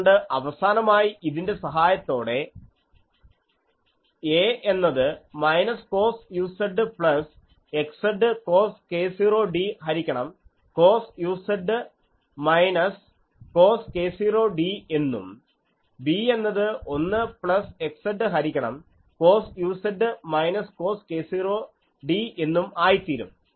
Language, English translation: Malayalam, So, finally, with the help of this a becomes minus cos u z plus x z cos k 0 d by cos u z minus cos k 0 d, b becomes 1 plus x z by cos u z minus cos k 0 d